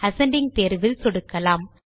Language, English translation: Tamil, Let us click on the Ascending option